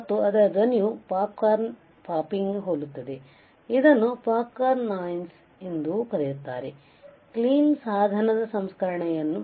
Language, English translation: Kannada, And because of its sound similar to popcorn popping, it is also called popcorn noise; it is also called popcorn noise